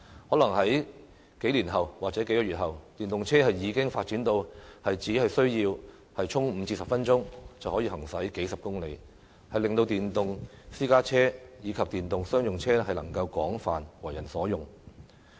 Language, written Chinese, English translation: Cantonese, 可能在數年或數月後，電動車已經發展到只需要充電5至10分鐘就可以行駛數十公里，令到電動私家車及商用車能夠廣泛為人所用。, Perhaps in just a few years or months a 5 to 10 minutes charge time can enable EVs travel dozens of kilometres thus popularizing the use of electric private cars and commercial vehicles